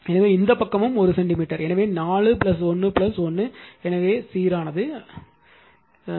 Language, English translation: Tamil, So, this side also 1 centimeter so, 4 plus 1 plus 1 right, so uniform it is uniform